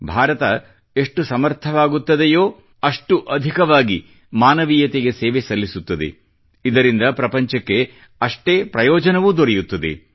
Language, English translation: Kannada, The more India is capable, the more will she serve humanity; correspondingly the world will benefit more